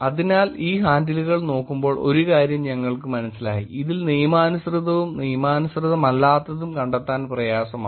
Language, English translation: Malayalam, So, one thing when we were looking at these handles we realized is that, hard to find out which is legitimate and which is not legitimate